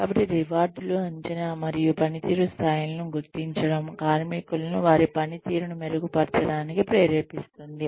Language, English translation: Telugu, So, rewards, assessment and recognition of performance levels, can motivate workers, to improve their performance